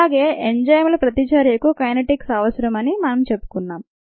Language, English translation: Telugu, we said that we need the kinetics of the enzyme reaction